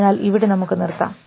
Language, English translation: Malayalam, So, we will stop at this and